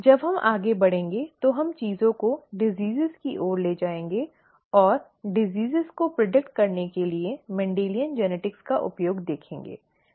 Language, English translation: Hindi, When we move forward, we will take things further towards diseases and see the use of ‘Mendelian genetics’ to be to predict diseases